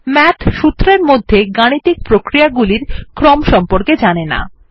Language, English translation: Bengali, Math does not know about order of operation in a formula